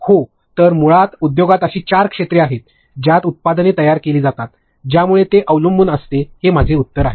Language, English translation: Marathi, So, I will come to that basically in the industry there are four areas under which products are created, so it depends, is what is my answer